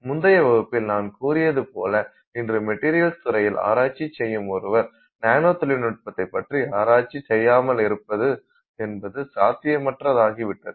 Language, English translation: Tamil, As I mentioned in our previous class today it is almost impossible for you to meet a person who is working in the area of materials who is also not doing some work in the area of nanomaterials